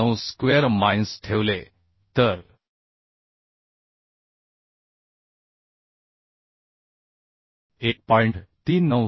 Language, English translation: Marathi, 679 square minus 1